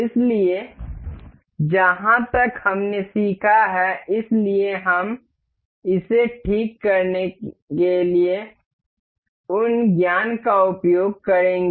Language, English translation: Hindi, So, as far as what we have learned, so we will use those this knowledge to fix this